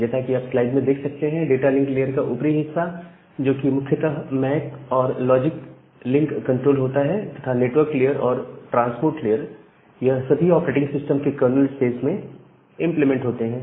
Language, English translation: Hindi, Whereas the upper part of the data link layer mainly a part of the MAC and the logical link control, the network layer and the transport layer they are implemented inside the kernel space of operating system